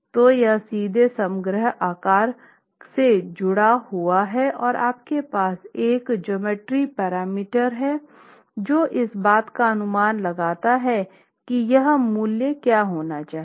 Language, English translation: Hindi, So, it's linked directly to the overall shape and you have a geometrical parameter that comes into this estimate which takes into account what this value should be